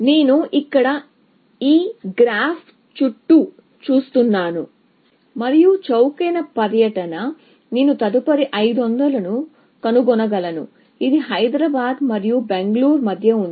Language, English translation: Telugu, So, I look around this graph here, and the cheapest tour, I can find next is 500, which is between Hyderabad and Bangalore